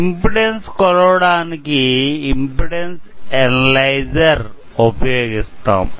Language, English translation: Telugu, Now, we will talk about impedance analyzer